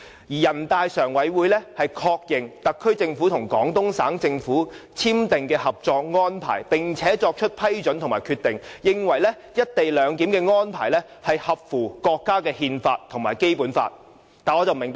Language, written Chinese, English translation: Cantonese, 人大常委會就確認特區政府和廣東省政府簽訂的《合作安排》而作出的《決定》，認為"一地兩檢"的安排合乎國家憲法和《基本法》。, According to the Decision of NPCSC to confirm the Co - operation Agreement signed between the HKSAR Government and the Government of the Guangdong Province the co - location arrangement conforms to the Constitution of China and the Basic Law